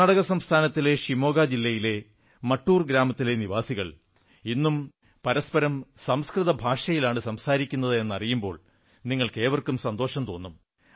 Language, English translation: Malayalam, You will be pleased to know that even today, residents of village Mattur in Shivamoga district of Karnataka use Sanskrit as their lingua franca